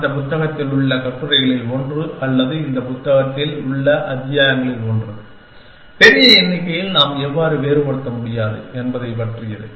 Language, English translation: Tamil, And one of the articles in that book is or one of the chapters in this book is, about how we cannot distinguish between large numbers